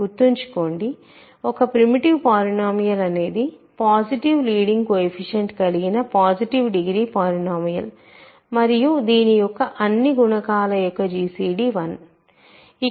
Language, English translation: Telugu, Remember, a primitive polynomial is a positive degree polynomial with positive leading coefficient and such that gcd of all its coefficient is 1